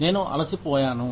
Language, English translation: Telugu, I am tired